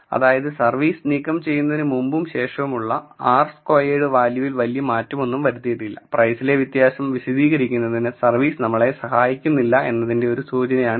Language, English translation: Malayalam, So, the r squared value before and after removing service is not changed much this itself is an indicator that service is not helping us in explaining the variation in price